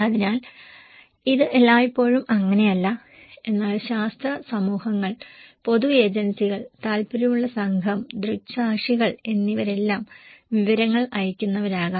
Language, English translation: Malayalam, So, which is not always the case but scientific communities, public agencies, interest group, eye witness they all could be senders of informations